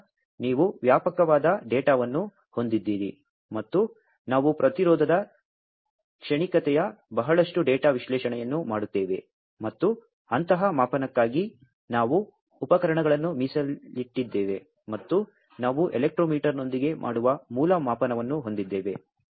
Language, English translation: Kannada, Then you have a wide full of data, and we do lot of data analysis of the resistance transient, and we have dedicated equipments for those kind of measurement, and the basic measurement that we do with an electrometer